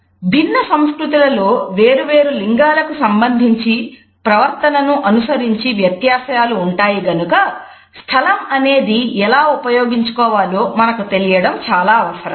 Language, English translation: Telugu, Since cultures have different modules of behavior as far as different genders are concerned, it plays a very important part in our understanding of how a space is to be used